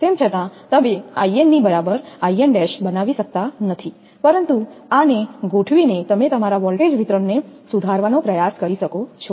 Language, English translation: Gujarati, Although, you cannot make I n is equal to I n dash, but by adjusting this you can try to improve that your voltage distribution